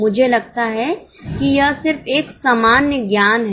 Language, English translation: Hindi, I think it's just a common sense